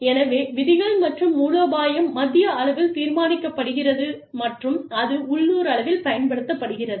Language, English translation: Tamil, So, the rules are decided at the central level, and the strategy is decided at the central level, and it is applied, at the local level